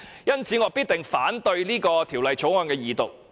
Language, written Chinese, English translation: Cantonese, 因此，我必定反對《條例草案》的二讀。, I will therefore oppose the Second Reading of the Bill